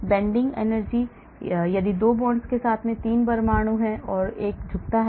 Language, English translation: Hindi, Bending energy, if there are 3 atoms with 2 bonds and there is a bending